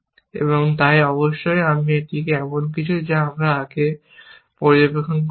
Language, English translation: Bengali, Of course, this is something that we have observed earlier, in other situations